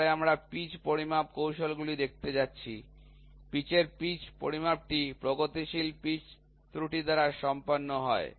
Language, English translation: Bengali, Then we are going to see the pitch measurement techniques, pitch measure of pitch is done by progressive pitch error